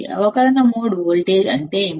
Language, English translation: Telugu, What is differential mode voltage